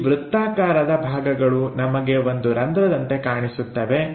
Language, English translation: Kannada, These circular portions what we have like a hole